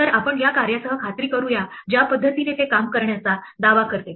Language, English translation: Marathi, So let us just verify with this works the way it claims to work